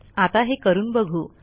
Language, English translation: Marathi, So lets try it